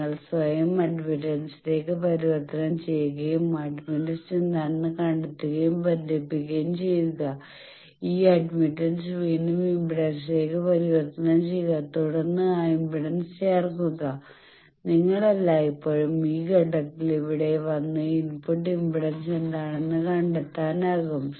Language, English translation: Malayalam, So, you convert yourself to admittance and connect that find out what is the admittance, then at this admittance then again convert to impedance then add that impedance like that you can always come here at this point and find out what is a input impedance